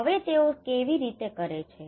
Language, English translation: Gujarati, Now how they do it